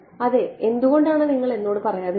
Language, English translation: Malayalam, Yeah why don't you tell me